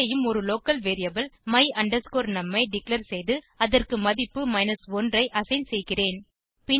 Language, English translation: Tamil, Here also, I have declare a local variable my num and assign the value 1 to it